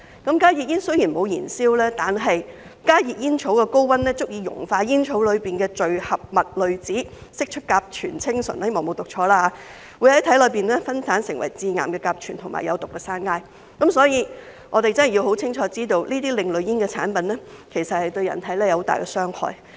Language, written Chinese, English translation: Cantonese, 加熱煙雖然沒有燃燒，但加熱煙草的高溫足以熔化煙草裏的聚合物濾紙，釋出甲醛氰醇——希望沒有讀錯——會在體內分解成致癌的甲醛和有毒的山埃，所以我們真的要很清楚知道這些另類煙產品其實對人體有很大的傷害。, As such the claim that HTPs can reduce exposure to harmful substances is actually somewhat misleading . Even without combustion the heating temperature of HTPs are high enough to melt the polymer - film filter in HTP releasing formaldehyde cyanohydrin―I hope I have not pronounced it wrong―which can be metabolized into carcinogenic formaldehyde and toxic cyanide in the body . This being so we really need to understand clearly that these alternative tobacco products actually cause serious harm to the human body